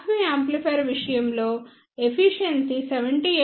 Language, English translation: Telugu, For class B amplifier efficiency is 78